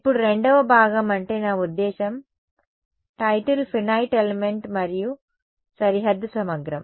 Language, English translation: Telugu, Now the second part is I mean look at the title is finite element and boundary integral